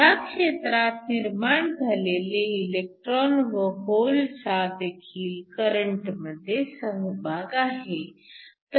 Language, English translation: Marathi, So, Electron holes generated from this region contribute to the current